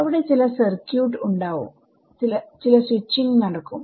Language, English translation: Malayalam, There is some circuit, there is some switching happening